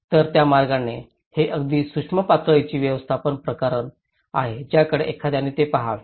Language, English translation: Marathi, So, in that way, these are a very micro level management issues one has to look at it